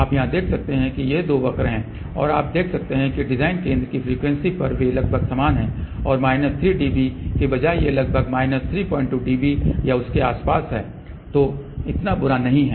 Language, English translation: Hindi, You can see here these are the two curves and you can see that at the design center frequency they are approximately same and instead of minus 3 dB these are about close to minus 3